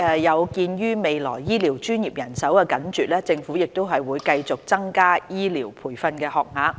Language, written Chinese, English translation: Cantonese, 有見於未來醫療專業人手緊絀，政府會繼續增加醫療培訓學額。, In view of the tight manpower situation of the health care profession in the future the Government will continue to increase the number of health care training places